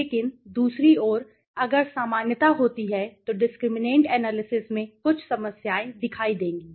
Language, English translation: Hindi, But on the other hand, if there is normality volition discriminant analysis will have will show some problems okay